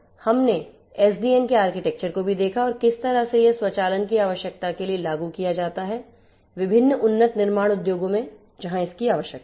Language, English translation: Hindi, We have also gone through the overall architecture of SDN and thereafter how it applies to catering to the requirements of automation in most of these different advanced manufacturing industries where automation is required and so on